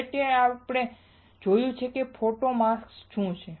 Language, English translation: Gujarati, Finally, we have seen what are photo masks